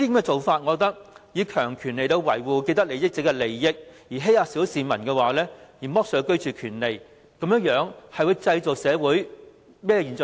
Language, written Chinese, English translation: Cantonese, 政府以強權維護既得利益者的利益，欺壓小市民，剝削他們的居住權利，會製造出甚麼社會現象？, The Government high - handedly safeguards the interests of those with vested interests at the expense of suppressing the general public depriving them of the right to proper dwelling . What kinds of social phenomena will be resulted?